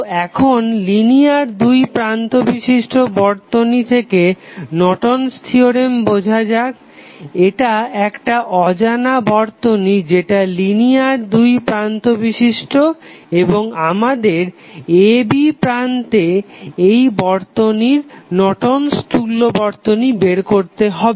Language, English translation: Bengali, So, now let us understand the Norton's Theorem from the linear two terminal circuit this is unknown circuit which is linear two terminal and we need to find out the Norton's equivalent of the circuit at terminal a, b